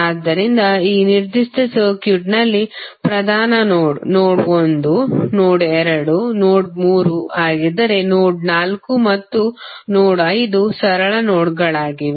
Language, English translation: Kannada, So, in this particular circuit principal node would be node 1, node 2 and node 3 while node 4 and node 5 are the simple nodes